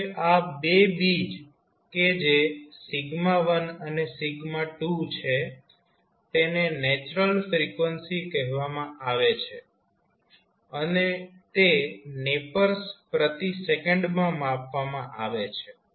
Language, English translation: Gujarati, Now, these 2 roots that is sigma1 and sigma2 are called natural frequencies and are measured in nepers per second